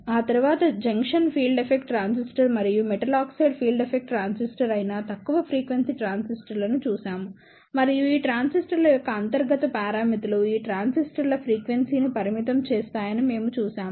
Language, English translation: Telugu, After that we saw the low frequency transistors that are Junction Field Effect Transistor and the Metal Oxide Field Effect Transistor and we saw that the internal parameters of these transistors limit the frequency of these transistor